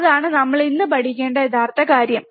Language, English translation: Malayalam, That is the real thing that we need to learn today